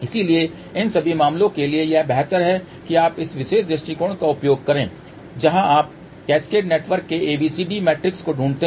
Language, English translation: Hindi, So, for all these cases it is better that you use this particular approach where you find ABCD matrix of the cascaded network